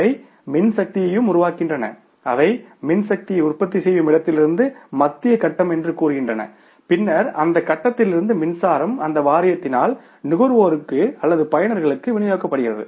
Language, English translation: Tamil, They were generating power also, they were transmitting the power also from the place of generation to the one, say, central grid and then from their grid that grid that power was being distributed to the by that board itself to the consumers, by the users